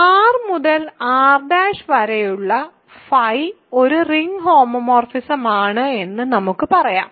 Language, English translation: Malayalam, So, let us say phi from R to R prime is a ring homomorphism ok